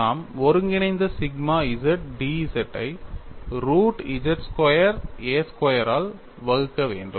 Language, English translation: Tamil, We have to essentially get the integral sigma z d z divided by root of z squared minus a squared